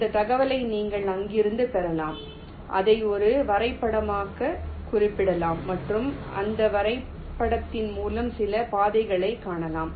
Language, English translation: Tamil, you can get this information from there, represent it as a graph and find some path through that graph